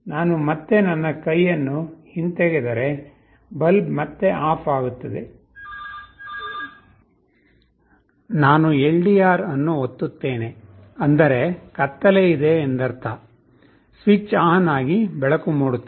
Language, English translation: Kannada, I again remove my hand the bulb is switched OFF again, I press the LDR; that means, darkness the light is switched ON